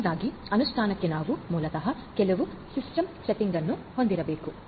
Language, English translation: Kannada, So, first of all we need to so for implementation first we need to basically have certain system settings